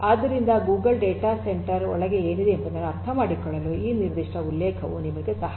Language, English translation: Kannada, So, this particular reference will help you to understand the Google data centre what is inside you know